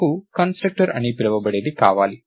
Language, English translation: Telugu, So, I want what is called a constructor